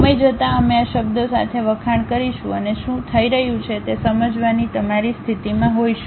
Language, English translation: Gujarati, Over the time we will acclimatize with these words and will be in your position to really sense what is happening